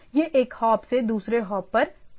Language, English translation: Hindi, So, it goes to the hop to hop